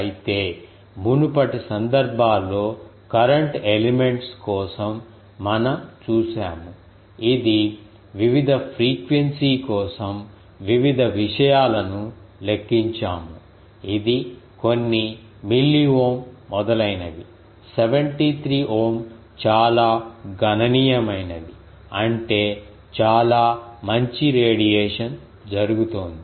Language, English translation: Telugu, Whereas, in previous cases we have seen for current elements it was in we have calculated various thing ah um for various frequencies it was some milliohm etcetera, 73 ohm is quite sizable; that means, quite a good amount of radiation is taking place